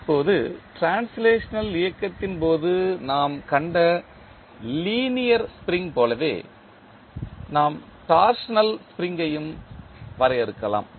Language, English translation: Tamil, Now, similar to the spring, linear spring which we saw in case of translational motion, we can also define torsional spring